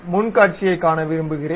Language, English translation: Tamil, I would like to see front view